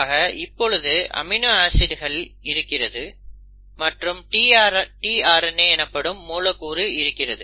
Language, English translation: Tamil, So you have amino acids and then you have a molecule called as the tRNA